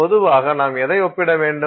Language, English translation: Tamil, And typically what are you comparing